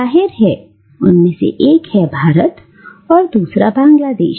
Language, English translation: Hindi, One is, of course, India and the other is Bangladesh